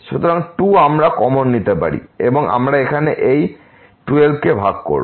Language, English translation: Bengali, So, the 2 we can take common and we will divide to this 12 here